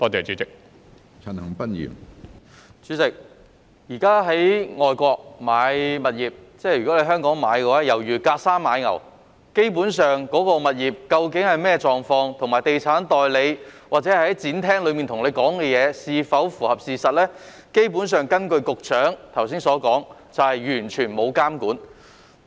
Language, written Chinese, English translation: Cantonese, 主席，現時在香港購買外國物業猶如隔山買牛，有關物業究竟是甚麼狀況，以及地產代理在展廳中向買家提供的資訊是否符合事實，根據局長剛才所說，都是完全沒有監管的。, President purchasing overseas properties in Hong Kong is like buying a cow from afar . According to what the Secretary said earlier the conditions of the properties concerned and the truthfulness of the information provided to the buyers by the estate agents in the exhibition halls are not under any regulation